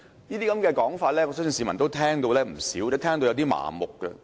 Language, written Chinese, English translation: Cantonese, 這些說法，我相信市民已經聽過不少，亦聽到麻木。, I believe the public are numbed after hearing all such remarks